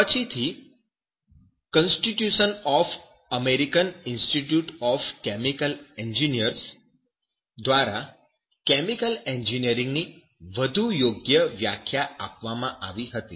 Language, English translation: Gujarati, And later on, a more appropriate definition of chemical engineering as per the constitution of the American Institute of chemical engineers